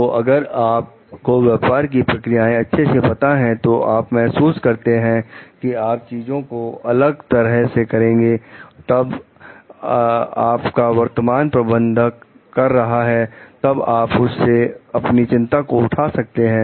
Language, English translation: Hindi, Like if you know the business processes well, you feel like you can do things in a different way, then your current manager is doing, then you will raise the concern about it